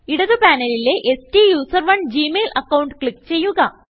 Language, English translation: Malayalam, From the left panel, click on the STUSERONE gmail account